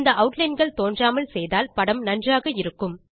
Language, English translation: Tamil, Lets make these outlines invisible so that the picture looks better